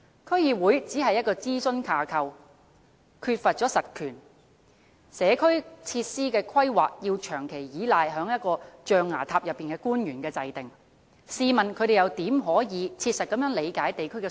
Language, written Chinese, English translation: Cantonese, 區議會只是諮詢架構，缺乏實權，社區設施的規劃要依賴長期在"象牙塔"內的官員制訂，試問他們又如何可以切實理解地區的需要？, DCs are only a consultative framework with no real power . We have to rely on those public officers who have been staying in the ivory tower persistently to draw up planning for community facilities . I wonder how they can practically understand district needs?